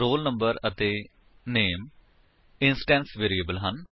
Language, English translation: Punjabi, roll number and name are the instance variables